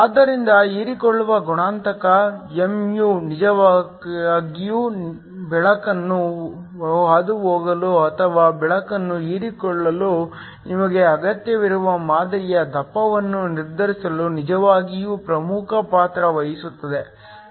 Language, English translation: Kannada, So, the absorption coefficient mu place a really key role in determining the thickness of the sample that you need in order to either get light to completely pass through or light to be absorbed